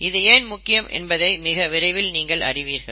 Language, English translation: Tamil, Why this is so will become clear very soon